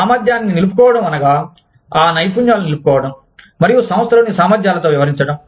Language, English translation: Telugu, Retaining competence retention deals with, retaining those skills, and competencies in the organization